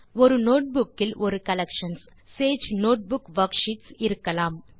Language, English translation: Tamil, A notebook can contain a collection of Sage Notebook worksheets